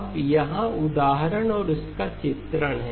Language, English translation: Hindi, Now here is the example and its illustration